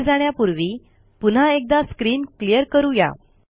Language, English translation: Marathi, Before moving ahead let us clear the screen